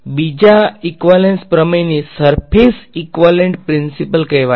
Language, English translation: Gujarati, The second equivalence theorem is called the surface equivalence principle ok